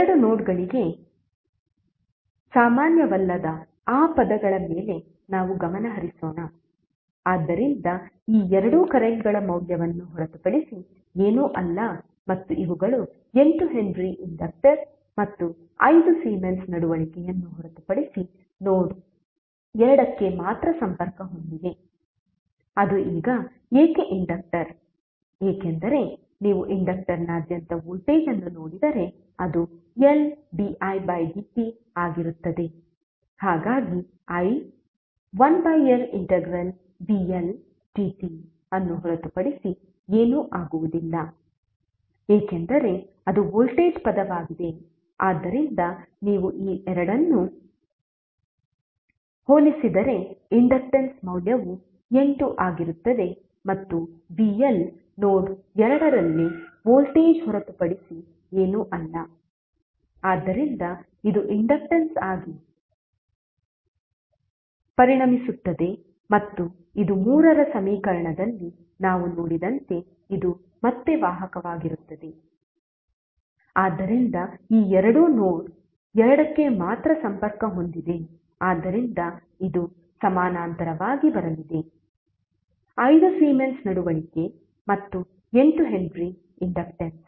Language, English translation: Kannada, Now let us come to equation 4, we will discuss this two terms when we discuss this two terms because both are same and both are defining something which is common to both of the nodes, so let us concentrate on those terms which are not common to both of the nodes, so this two are nothing but the value of currents and thees are nothing but 8 henry inductor and 5 Siemens conductance which is connected to only node 2, why it is now the inductor because if you see the voltage across inductor it is L di by dt, so i would be nothing but 1 upon L integral vl dt, since this is the voltage term so if you compare both of them the value of inductance would be 8 and vl is nothing but voltage at node 2 so this will now become the inductance and this will be again the conductance as we saw in the equation 3, so this two are only connected to node 2 so this would be coming in parallel, 5 Siemens conductance and 8 henry inductance